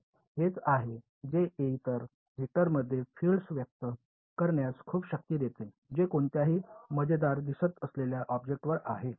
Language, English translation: Marathi, So, that is that is what is giving a lot of power in expressing the field in other vector over any funny looking object ok